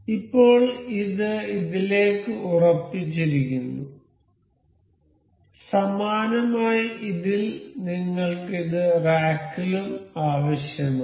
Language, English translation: Malayalam, So, now it is fixed to this, similarly in this we need this in rack also